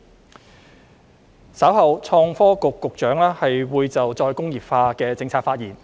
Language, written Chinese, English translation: Cantonese, 創新及科技局局長稍後會就再工業化的政策發言。, The Secretary for Innovation and Technology will speak on the policy of re - industrialization later on